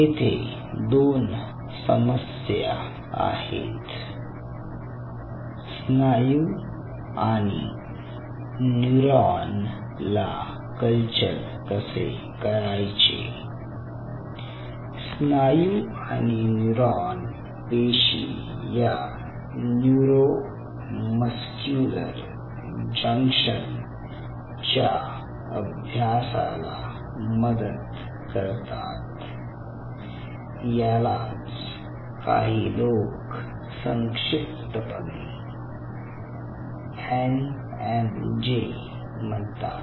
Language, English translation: Marathi, here a means, a population right muscle and a neuron cell types to study neuro muscular junction, neuro muscular junction which, in short, many peoples call it as n m j